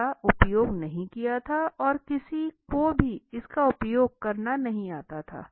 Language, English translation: Hindi, It was not be used and no one is seem to know how to use it